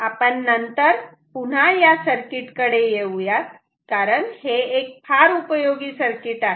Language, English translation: Marathi, We will come back to this circuit again later this is a very useful circuit